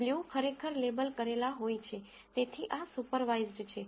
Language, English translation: Gujarati, The blue are actually labeled, so this is supervised